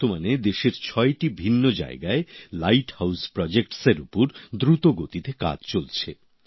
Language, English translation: Bengali, For now, work on Light House Projects is on at a fast pace at 6 different locations in the country